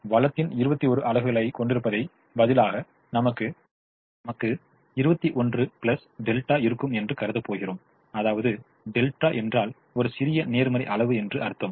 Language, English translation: Tamil, instead of having twenty one units of the resource, we are going to assume that we will have twenty one plus delta, where delta is a small positive quantity